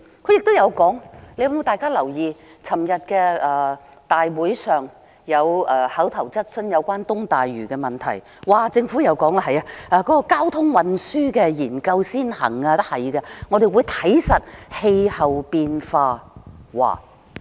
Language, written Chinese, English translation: Cantonese, 不知大家有否留意，昨天立法會有一項有關東大嶼的口頭質詢，政府回答說交通運輸研究先行，他們會監察氣候變化。, I wonder if Members have paid attention to an oral question on East Lantau asked in the Legislative Council yesterday . The Government said that priorities would be accorded to conducting studies on transport infrastructure and that they would monitor climate change